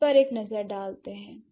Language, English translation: Hindi, So, now let's see